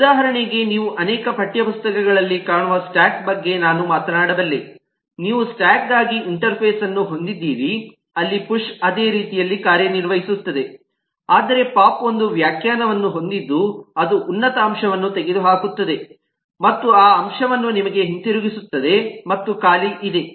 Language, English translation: Kannada, you will find in many text books you have an interface for a stack where the push works in the same way, but pop has a definition that removes that of most element and returns you that element, and there is an empty